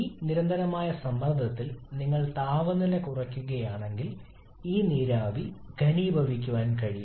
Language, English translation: Malayalam, At this constant pressure if you just reduce the temperature you can make this vapour to condense